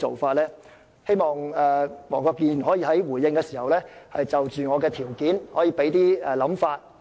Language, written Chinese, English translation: Cantonese, 我希望黃國健議員回應時可以就我的條件表達意見。, I hope Mr WONG Kwok - kin will comment on my suggestion in his response